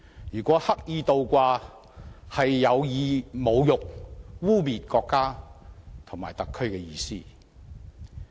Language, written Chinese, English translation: Cantonese, 如果刻意倒掛，是有意侮辱、污衊國家和特區的意思。, Deliberately inverting the flags is tantamount to intentionally insulting and smearing the country and SAR